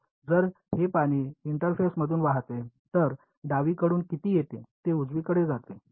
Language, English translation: Marathi, So, if this water flowing across in the interface, how much comes from the left that much goes into the right